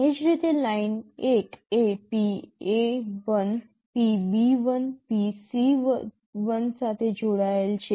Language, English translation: Gujarati, Similarly, Line1 is connected to PA1, PB1, PC1